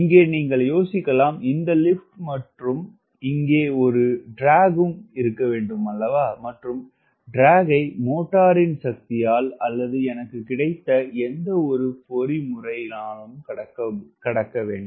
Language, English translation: Tamil, you can think like this lift and there is a drag here, and this drag has to be overcome by the power of the motor or whatever mechanism